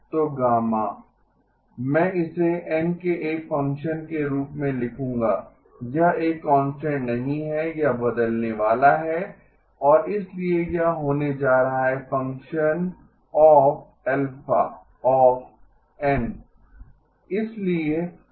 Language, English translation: Hindi, So gamma I will write it as a function of n, it is not a constant, it is going to change and so this is going to be a function of alpha of n depends on this squared times gamma